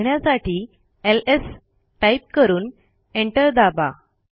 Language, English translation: Marathi, To see there presence type ls and press enter